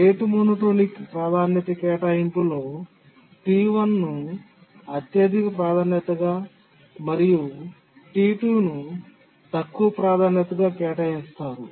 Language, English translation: Telugu, In the rate monotonic priority assignment, T1 will be assigned highest priority and T2 a lower priority